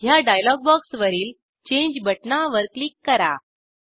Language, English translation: Marathi, Click on Change button on this dialog box